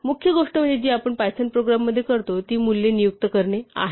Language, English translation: Marathi, So, the main thing that we do in a python program is to assign values to names